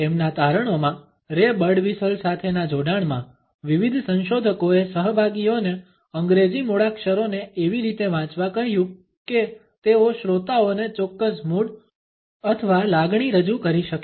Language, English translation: Gujarati, In their findings, in association with ray Birdwhistle, various researchers asked participants to recite the English alphabet in such a way that they are able to project a certain mood or emotion to the listener